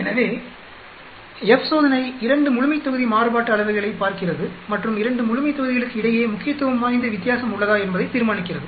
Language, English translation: Tamil, So, F test looks at 2 population variances and determines if there is significant difference between the 2 populations